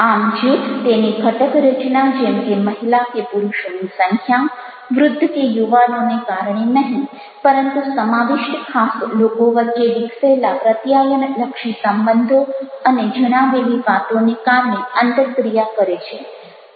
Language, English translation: Gujarati, so group interacts not because of their compositions, like number of females or males, old or young, but because of the communicative relationship developed and the kind of the talk shared between specific people involved